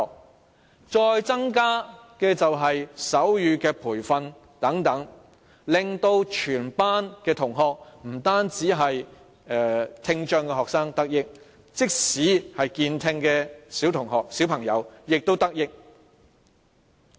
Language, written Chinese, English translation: Cantonese, 此外，增加手語培訓等措施，亦能令全班同學，不單是聽障學生，也同時得益，即使健聽的小朋友也得益。, Moreover measures such as the increase of sign language training will not only benefit students with hearing impairment but also the entire class . Even students with normal hearing will also be benefited